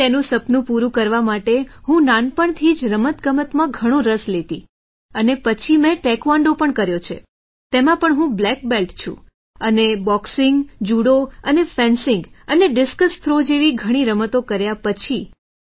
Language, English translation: Gujarati, So to fulfil her dream, I used to take a lot of interest in sports since childhood and then I have also done Taekwondo, in that too, I am a black belt, and after doing many games like Boxing, Judo, fencing and discus throw, I came to shooting